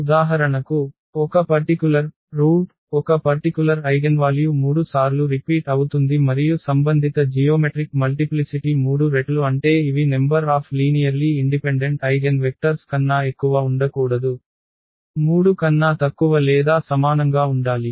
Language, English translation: Telugu, Meaning that for example, one a particular root; one particular eigenvalue is repeated 3 times than the corresponding geometric multiplicity meaning they are number of linearly independent eigenvectors cannot be more than 3, they have to be less than or equal to 3